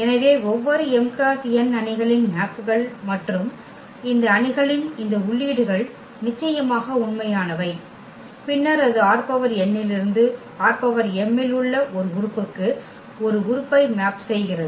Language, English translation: Tamil, So, every m cross n matrix maps and maps and these entries of these matrices are real of course then it maps an element from R n to an element in R m